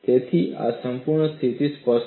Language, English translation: Gujarati, So, this specifies the sufficient condition